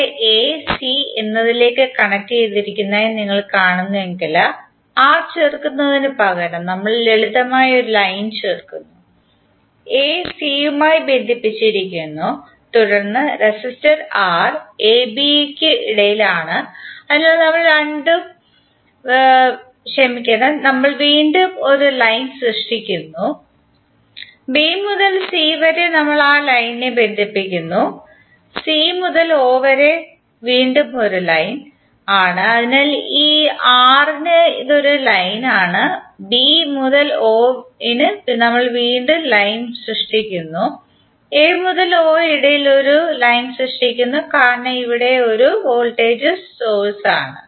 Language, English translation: Malayalam, So here if you see a is connected to c, so instead of adding R we are simply adding the line, a is connected to c then between ab resistor R, so we are again creating a line, b to c we are connecting the line, c to o that is again we have one line, so for this R it is the line, for b to o we are again creating the line and between a to o because this is the voltage source we are again creating the line